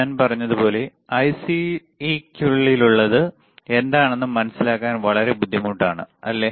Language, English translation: Malayalam, Llike I said, it is very difficult to understand what is within the IC, right